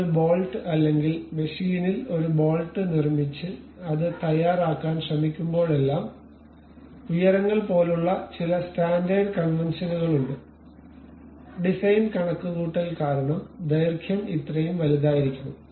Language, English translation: Malayalam, Whenever you manufacture a bolt or machine a bolt and try to prepare it there are some standard conventions like heights supposed to this much, length supposed to be this much and so on because of design calculation